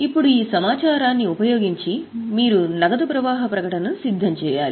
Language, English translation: Telugu, Now using this information you are required to prepare cash flow statement